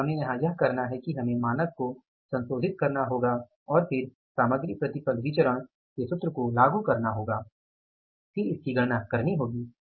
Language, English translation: Hindi, So, what we have to do here is we have to revise the standard and then apply the formula of the MIV material yield variance and then we will have to calculate